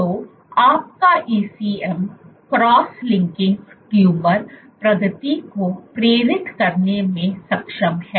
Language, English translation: Hindi, So, your ECM cross linking is capable of inducing tumor progression